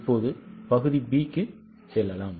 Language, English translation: Tamil, Now let us go to the B part